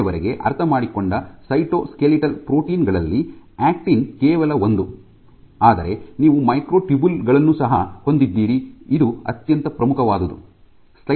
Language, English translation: Kannada, So, actin is only one of the cytoskeletal proteins you also have microtubules, one of the most important things which